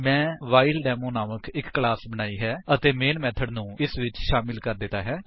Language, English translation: Punjabi, I have created a class WhileDemo and added the main method to it